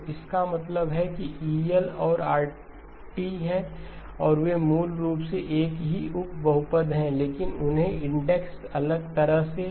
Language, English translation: Hindi, So which means that El and Rl are, they are basically the same subpolynomials, but they have been index differently